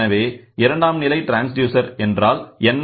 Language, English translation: Tamil, So, what is the secondary transducer